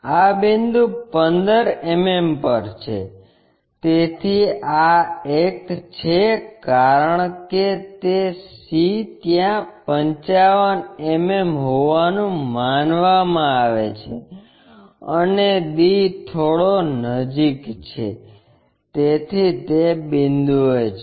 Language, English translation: Gujarati, This point is at 15 mm, so this is the one, because c is at 50 mm is supposed to be there, and d is bit closer so it is at that point